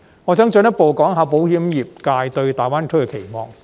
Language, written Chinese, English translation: Cantonese, 我想進一步談談保險業界對大灣區的期望。, Furthermore I would like to talk about the insurance industrys expectations on GBA